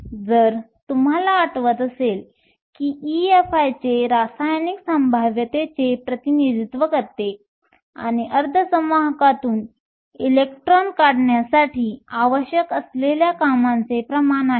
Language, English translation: Marathi, If you remember E Fi is nothing but a representation of the chemical potential or the amount of work that needs to be done in order to remove an electron from a semiconductor